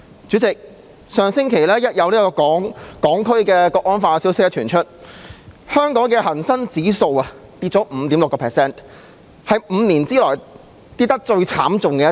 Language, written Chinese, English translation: Cantonese, 主席，上星期有關《決定》的消息傳出後，香港的恒生指數下跌了 5.6%， 是5年內下跌得最慘烈的一次。, President when news about the Draft Decision emerged last week the Hang Seng Index of Hong Kong plummeted 5.6 % its worst drop in five years